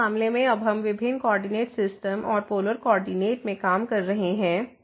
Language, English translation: Hindi, So, in this case we are will be now working on different coordinate system and in polar coordinate